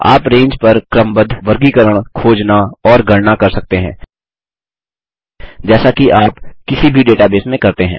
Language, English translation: Hindi, You can sort, group, search, and perform calculations on the range as you would in any database